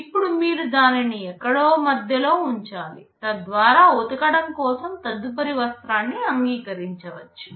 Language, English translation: Telugu, You must keep it somewhere in between, so that you can accept the next cloth for washing